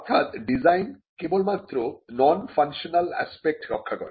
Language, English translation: Bengali, So, design only protects non functional aspects of a product